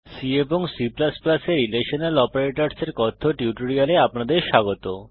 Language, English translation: Bengali, Welcome to the spoken tutorial on Relational Operators in C and C++